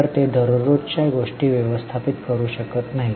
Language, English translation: Marathi, So, they cannot manage day to day affairs